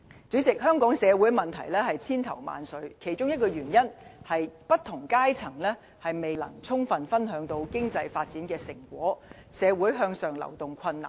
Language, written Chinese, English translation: Cantonese, 主席，香港社會的問題千頭萬緒，其中一個原因，是不同階層未能充分分享經濟發展的成果，社會向上流動困難。, President one of the reasons for Hong Kongs complicated problems is the uneven distribution of fruit of economic development among different social strata and the lack of upward social mobility